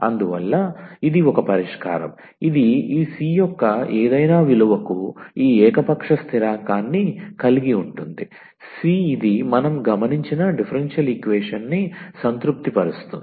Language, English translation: Telugu, And therefore, this is a solution also this contains one this arbitrary constant this c for any value of c this will satisfy the differential equation which we have observed